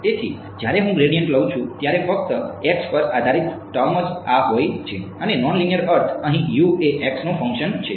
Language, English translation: Gujarati, So, when I take the gradient only the x dependent terms are this guy and non linear means over here U is a function of x